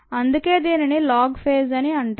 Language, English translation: Telugu, that's actually why it is called the log phase